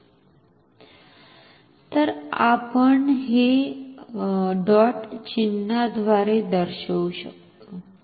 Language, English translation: Marathi, So, we can denote it with a dot notation